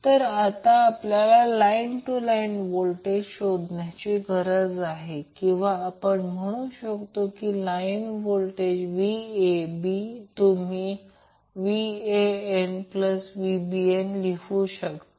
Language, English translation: Marathi, Now if you are asked to find line to line voltage or you say simply the line voltage, line voltage would be VAB, VBC or VCA